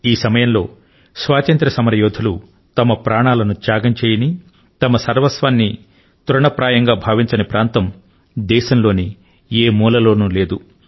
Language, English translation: Telugu, During that period, there wasn't any corner of the country where revolutionaries for independence did not lay down their lives or sacrificed their all for the country